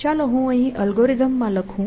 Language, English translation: Gujarati, Now, let me do this here, and let me write the algorithm, here